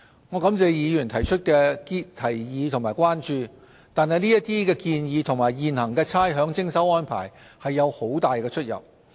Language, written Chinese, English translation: Cantonese, 我感謝議員提出的提議和關注，但這些建議與現行的差餉徵收安排有很大出入。, I would like to thank Members for their proposals and concerns but such proposals differ considerably from the existing rates collection arrangement